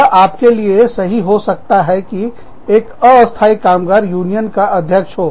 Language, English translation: Hindi, It may be okay for you, to have a temporary worker, as the president of the union